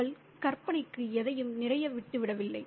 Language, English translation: Tamil, She just leaves nothing, a lot to imagination